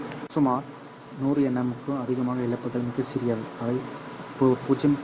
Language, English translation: Tamil, Over about 100 nanometer the losses are pretty small